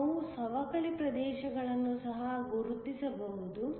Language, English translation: Kannada, We can also mark the depletion regions